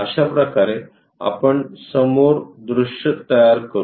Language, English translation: Marathi, This is the way we construct a front view